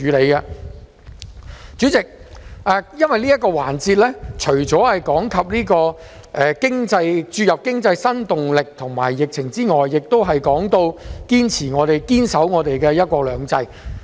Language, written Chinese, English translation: Cantonese, 代理主席，因為這個環節除了提及注入經濟新動力及疫情外，亦提到堅守"一國兩制"。, Deputy President in this debate session apart from the theme of New Impetus to the Economy and Navigating through the Pandemic it also covers the theme of Upholding one country two systems